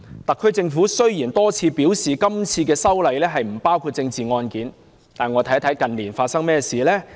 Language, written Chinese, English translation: Cantonese, 特區政府雖然多次表示今次修例不包括政治案件，但我們看看近年發生何事？, Although the Government has repeatedly claimed that political cases will not be included in the amendment bill let us look at what has happened in recent years